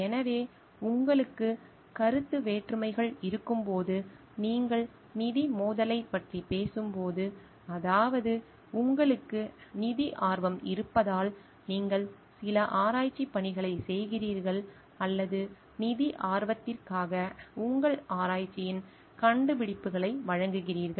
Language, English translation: Tamil, So, conflict of interest when you have, when you talking of financial conflict of interest which means like you are doing some research work because you have financial interest or you are giving out the findings of your research for financial interest